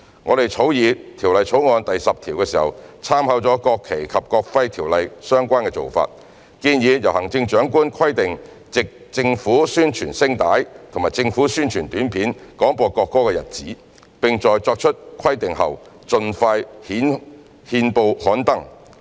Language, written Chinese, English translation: Cantonese, 我們在草擬《條例草案》第10條時，參考了《國旗及國徽條例》相關做法，建議由行政長官規定藉政府宣傳聲帶或政府宣傳短片廣播國歌的日子，並在作出規定後，盡快在憲報刊登。, In drafting clause 10 we proposed having considered the relevant practices under the National Flag and National Emblem Ordinance that the Chief Executive should stipulate the dates on which the national anthem must be broadcast by an announcement in the public interest on radio and television and the stipulation must be published in the Gazette as soon as practicable after it is made